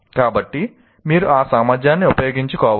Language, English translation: Telugu, So you should make use of that